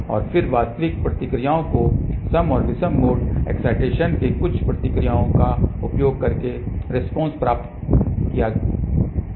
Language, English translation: Hindi, And then actual responses obtained by using some of the responses of even and odd mode excitation